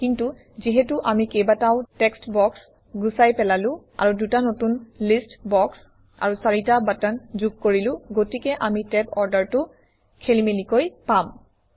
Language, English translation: Assamese, But since we removed a couple of text boxes, and added two new list boxes and four buttons, we may have mixed up the tab order